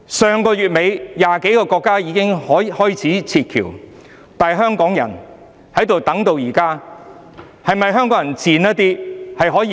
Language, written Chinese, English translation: Cantonese, 上月底 ，20 多個國家已經開始撤僑，但香港人等到現在仍未能離去。, More than 20 countries have begun evacuating their citizens out of Hubei at the end of last month yet up till now Hong Kong people are still stranded in the area